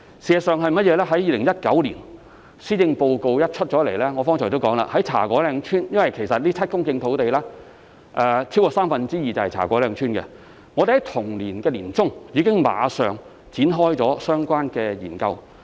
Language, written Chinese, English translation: Cantonese, 事實上，我剛才也提到，自從2019年施政報告公布後，有關茶果嶺村的項目——其實這7公頃土地中超過三分之二是位於茶果嶺村——我們已馬上於同年年中展開相關研究。, In fact I have also mentioned just now that subsequent to the delivery of the 2019 Policy Address we have immediately commissioned in mid - 2019 the relevant study on the project of Cha Kwo Ling Village―actually more than two thirds of the 7 hectares of land is situated in Cha Kwo Ling Village